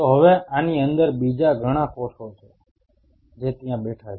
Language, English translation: Gujarati, So now, within this there are many other cells which are sitting there